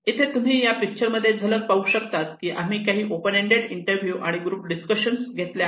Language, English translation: Marathi, Here is some of the glimpse and picture you can see that we what we conducted open ended interview, group discussions